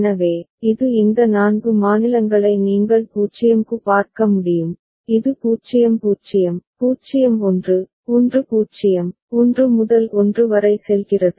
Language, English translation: Tamil, So, this is the way you can these 4 states you can see for 0 it is going from 0 0, 0 1, 1 0, to 1 1